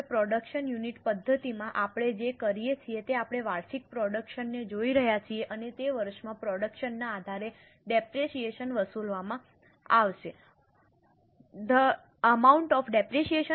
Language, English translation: Gujarati, Now in production unit method what we are doing is we are looking at the annual production and the depreciation will be charged based on the production in that year